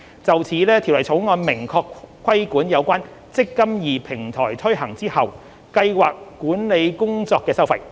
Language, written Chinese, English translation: Cantonese, 就此，《條例草案》明確規管有關"積金易"平台推行後計劃管理工作的收費。, In this regard the Bill expressly regulates the scheme administration fee upon the implementation of the eMPF Platform